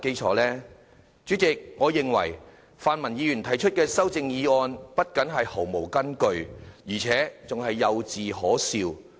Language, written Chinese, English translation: Cantonese, 代理主席，我認為泛民議員提出的修正案不僅毫無根據，而且幼稚可笑。, How can it possibly lack a legal basis? . Deputy Chairman I find the amendments proposed by pan - democratic Members not only groundless but also ludicrously naïve